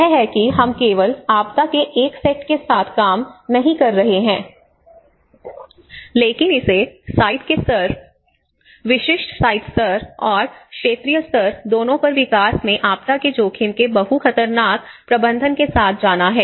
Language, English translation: Hindi, So that is how we are not just dealing only with one set of disaster, but it has to go with the multi hazard management of disaster risk in the development at all levels both at site level, the specific site level and also the regional level and also various sectors